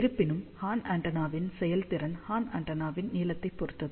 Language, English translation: Tamil, However, we have seen efficiency of the horn antenna depends upon the length of the horn antenna